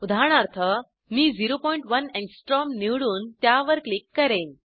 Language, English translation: Marathi, For example, I will select 0.1 Angstrom and click on it